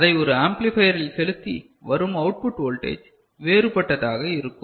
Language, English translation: Tamil, And when you pass it through a amplifier at the output the voltage level will be different